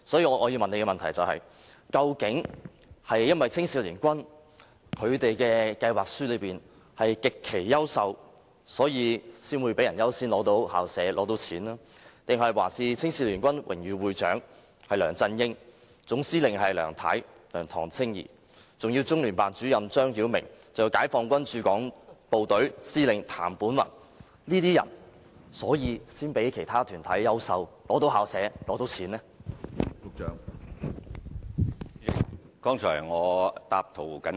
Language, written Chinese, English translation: Cantonese, 我要提出的補充質詢是：究竟青總是因為計劃書極其優秀，才會較其他團體優先獲批校舍和捐款，抑或是因為榮譽會長是梁振英及總司令是梁唐青儀，再加上中聯辦主任張曉明和解放軍駐港部隊司令員譚本宏等人，所以才較其他團體優秀而獲批校舍及捐款？, The supplementary question that I am going to raise is Is it because the proposal prepared by HKACA is so outstanding that it has outshined other organizations and thus succeeded in getting both the school premises and the donation or is it because of its Honorary Patron LEUNG Chun - ying and Commander in Chief Mrs LEUNG TONG Ching - yee as well as ZHANG Xiaoming Director of the Liaison Office of the Central Peoples Government in Hong Kong and TAN Benhong Commander of Peoples Liberation Army Garrison in Hong Kong that HKACA has outshined other organizations and thus got both the school premises and the donation?